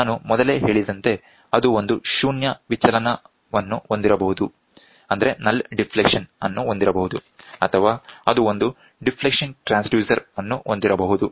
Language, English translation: Kannada, So, as I said earlier it can have a null deflection or it can have a deflection transducer